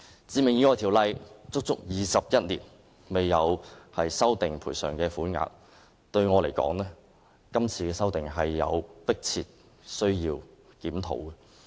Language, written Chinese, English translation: Cantonese, 《致命意外條例》已足足21年未有修訂賠償款額，我認為現時有迫切的需要作出檢討和修訂。, The amount of compensation under the Ordinance has not been adjusted for 21 years . I think it is high time to have it reviewed and adjusted